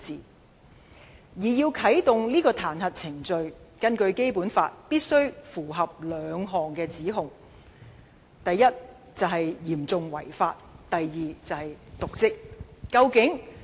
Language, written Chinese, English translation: Cantonese, 根據《基本法》，要啟動彈劾程序必須符合兩類指控，一是"嚴重違法"，一是"瀆職"。, According to the Basic Law the impeachment procedures can only be activated if the charges against the Chief Executive fall under the following two categories serious breach of law and dereliction of duty